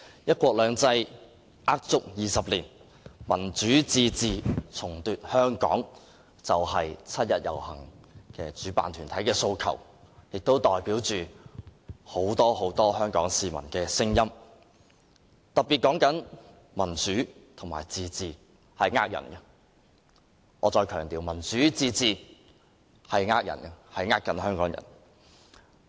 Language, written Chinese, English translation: Cantonese, "一國兩制呃足廿年；民主自治重奪香港"是今年七一遊行主辦團體的訴求，亦代表很多香港市民的聲音，當中特別提到民主和自治是騙人的，我再強調，民主和自治是騙人的，欺騙香港人。, One country two systems a lie of 20 years; Democratic self - government retake Hong Kong is the aspiration of the organizer of this years 1 July march which is also the voice of many Hong Kong people . Democracy and autonomy mentioned therein are deceitful nonsense; let me stress again democracy and autonomy are deceitful nonsense to cheat Hong Kong people